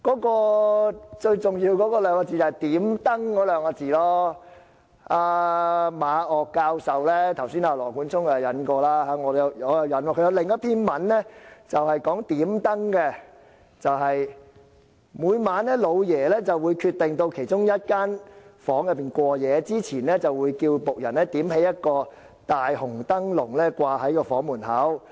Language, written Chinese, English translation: Cantonese, 羅冠聰議員剛才引述了馬嶽教授的評論，我現在想引述馬教授另一篇文章，是有關"點燈"的："每晚'老爺'會決定到其中一人房中過夜，之前會叫僕人點起一個大紅燈籠掛在該房門口。, Just now Mr Nathan LAW cited a comment by Prof MA Ngok and now I would like to quote from another article by Prof MA which is about lighting the lantern Every night the Master would decide whose room he would stay overnight in and he would before going to the room tell a servant to light a big red lantern and hang it up at the entrance to the room